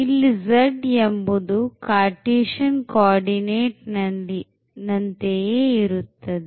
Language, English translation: Kannada, So, z is precisely the same which was in Cartesian coordinate